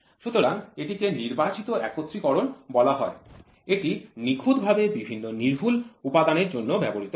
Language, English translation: Bengali, So, this is called as selective assembly, this is exhaustively used for various precision components